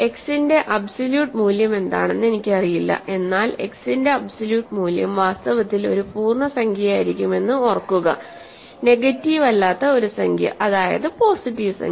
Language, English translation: Malayalam, I do not know what absolute value of x is, but remember absolute value of x will be also an integer in fact, a non negative integer; because; positive integer even